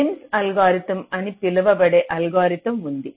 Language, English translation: Telugu, that is prims algorithm